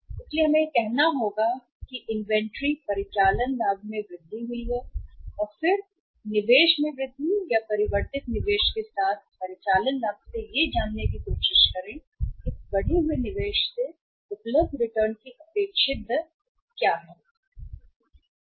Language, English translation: Hindi, So we will have to divide that say changed operating profit or increased operating profit with the increased investment or changed investment in the inventory and then try to find out that what is the expected rate of return available from this increased investment in the inventory right